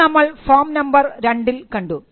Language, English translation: Malayalam, Now, this is how form 2 looks